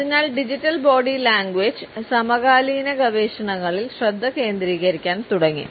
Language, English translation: Malayalam, And therefore, Digital Body Language has started to become a focus in contemporary research